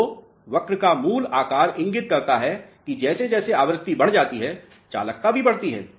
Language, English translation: Hindi, So, basic shape of the curve indicates as frequency increases, the conductivity increases